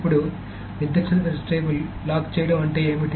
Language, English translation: Telugu, Now what does locking a particular table mean